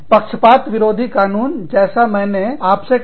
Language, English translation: Hindi, Anti discrimination laws, like i told you